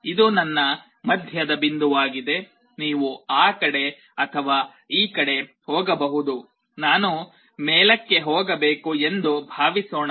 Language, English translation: Kannada, This is my middle point then you either go here or here, let us say I have to go up